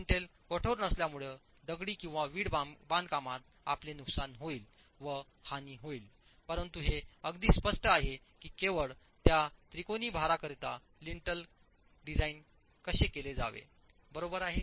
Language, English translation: Marathi, Since there is no lintel, you will have damage in masonry but it is very clear how the lintel should be designed only for that triangular load